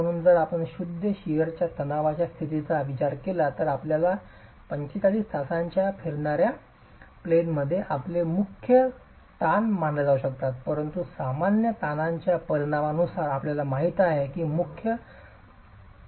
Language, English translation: Marathi, So if you consider a state of pure shear stress, then your principal stresses can be considered on a 45 degree rotated plane, but depending on the magnitude of the normal stresses, you know that the principal stress direction would change